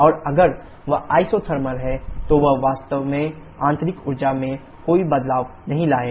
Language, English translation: Hindi, And if that is isothermal, then that actually will lead to no change in the internal energy